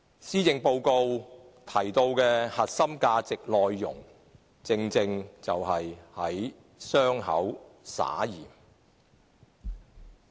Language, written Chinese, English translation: Cantonese, 施政報告提到的核心價值內容，正正是在傷口灑鹽。, The mention of the core values in the Policy Address is rubbing salt into the wounds